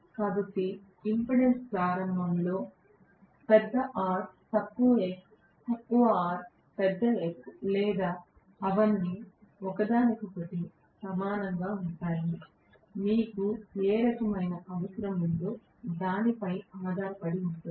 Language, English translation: Telugu, So, the impedance starting can include large R less x, less R large X or all of them almost equal to each other, depending upon what is kind of requirement you have